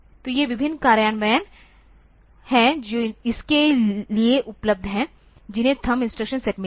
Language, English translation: Hindi, So, these are various implementations that are available for this that has got the thumb instruction set